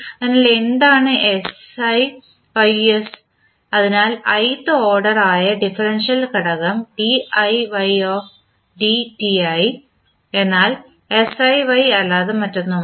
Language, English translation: Malayalam, So, what is siYs so the ith order of the differential component that is diY by dti is nothing but siY